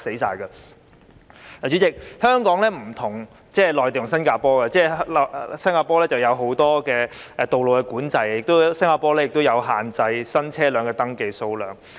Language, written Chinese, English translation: Cantonese, 代理主席，香港與內地和新加坡不同，新加坡有很多道路管制，亦限制新車輛的登記數量。, Deputy President Hong Kong is different from the Mainland and Singapore . Singapore has put in place many road control measures and restricts the number of new vehicles that can be registered